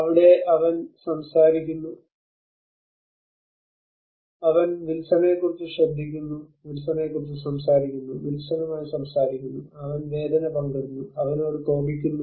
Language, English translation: Malayalam, Here he talks about, he cares about Wilson, he talks about Wilson, he talks with Wilson, he shares his pain, anger everything with him